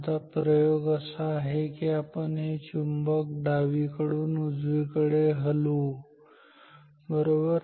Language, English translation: Marathi, Now the experiment is that we will move this magnet in one direction say from left to right